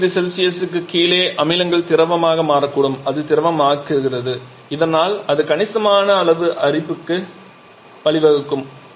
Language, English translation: Tamil, And below one eighth 150 degree Celsius that acids may become liquid that liquefies and thereby it can lead to significant amount of corrosion